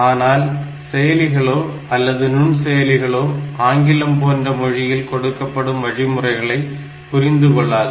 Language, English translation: Tamil, But, as I said, that microprocessors or processors, they will never understand this English like language statements